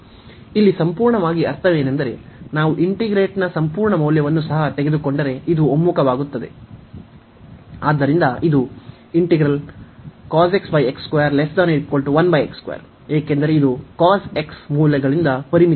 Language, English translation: Kannada, So, here the absolutely means that the if we take even the absolute value of the integrant this is this converges, so this cos x over x square is bound is less than equal to 1 over x square, because this cos x the values are bounded by 1